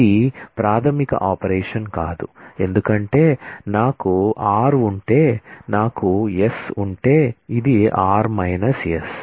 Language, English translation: Telugu, It is not a fundamental operation because, if I have r, if I have s, then this is r minus s